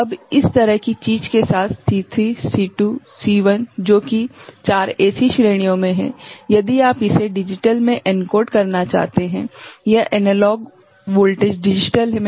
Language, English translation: Hindi, Now, with this kind of thing C3 C2 C1 that is there at 4 such ranges, if you want to encode it into digital ok, this analog voltage into digital